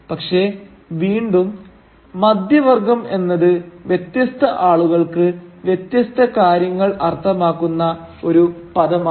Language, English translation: Malayalam, But again middle class is also a term which can mean different things to different people